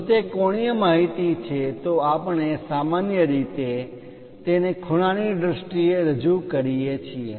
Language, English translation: Gujarati, If it is angular information we usually represent it in terms of angles